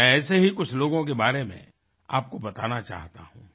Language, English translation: Hindi, I would like to tell you about some of these people